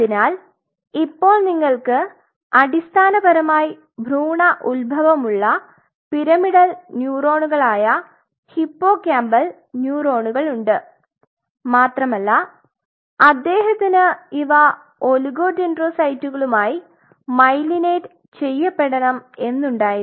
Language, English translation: Malayalam, So, you have hippocampal neurons which are basically the pyramidal neurons of embryonic origin and he wanted them to get myelinated with oligodendrocytes